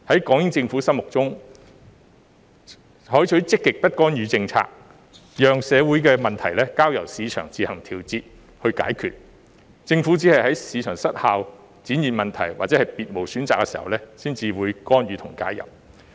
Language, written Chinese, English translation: Cantonese, 港英政府是採取積極不干預政策，社會問題是交由市場自行調節和解決，政府只是在市場失效、出現問題或別無選擇時，才會干預和介入。, With the adoption of the positive non - intervention policy the British Hong Kong Government left the social problems to the market for adjustment and solution and the Government would only interfere and intervene during market failure when there were some issues or when there were no other alternatives